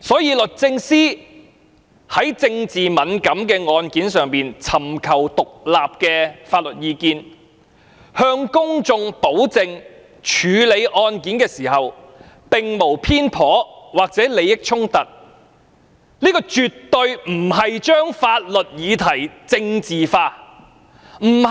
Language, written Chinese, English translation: Cantonese, 因此，律政司會就政治敏感案件尋求獨立的法律意見，以示其在處理案件時並無偏頗或利益衝突，而絕非是把法律議題政治化。, Hence the Department of Justice DoJ will seek independent legal advice in respect of politically sensitive cases to show its impartiality or avoid giving rise to any conflict of interests . This has nothing to do with politicization of legal issues